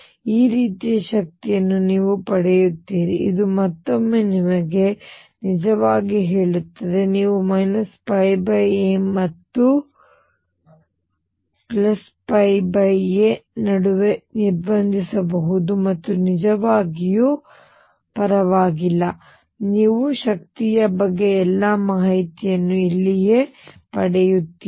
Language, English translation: Kannada, You will get energies which are like this; which again tells you that k actually you can restrict between the minus pi by a and pi by a and does not really matter, you get all the information about energies right here